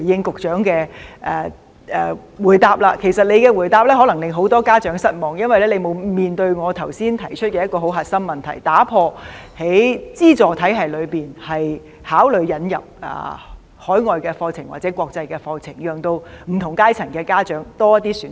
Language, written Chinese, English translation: Cantonese, 局長的回答可能令很多家長失望，因為他沒有回應我剛才提出的一個核心問題，即會否考慮在資助體系中引入海外課程或國際課程，讓不同階層的家長有多些選擇。, The replies of the Secretary may disappoint many parents because he has not responded to the core question raised by me earlier on ie . whether he would consider introducing overseas or international curriculum in the subsidized education system so as to provide more choices to parents of different social strata